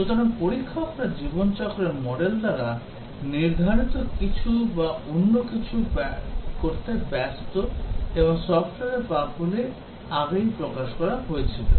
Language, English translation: Bengali, So, the testers are busy doing something or other as defined by the life cycle model and also the software is the bugs are exposed earlier